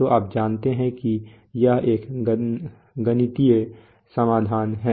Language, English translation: Hindi, So you know this is a this is a mathematical solution